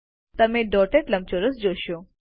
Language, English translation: Gujarati, You will see a dotted rectangle